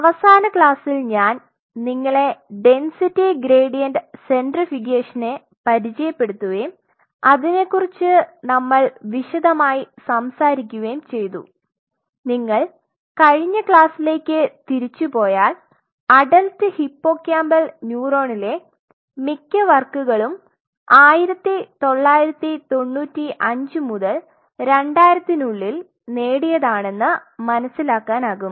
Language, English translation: Malayalam, So, in the last class I introduced you and we talked extensively about the density gradient centrifugation and if we go back to the class you will realize that I told you that most of these works achieved on adult hippocampal neuron around 1995 to 2000